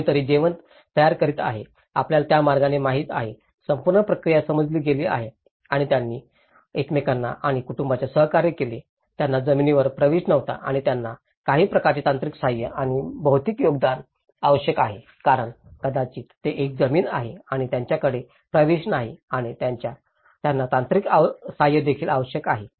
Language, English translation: Marathi, Someone preparing the food, you know in that way, the whole process has been understood and they cooperated with each other and families, who did not have any access to land and they required some kind of only technical assistance and material contributions because may that they have a land and also they don’t have an access and also required technical assistance